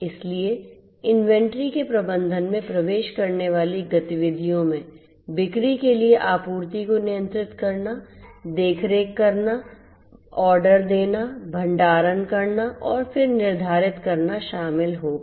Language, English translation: Hindi, So, activities that would entail the management of inventory would include you know controlling the controlling, overseeing, ordering, storage, then determining the supply for sale